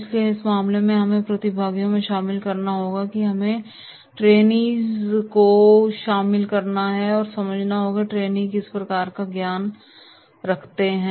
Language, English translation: Hindi, So therefore in that case we have to involve participants, we have to involve the trainees, and we have to understand that what type of knowledge the trainee has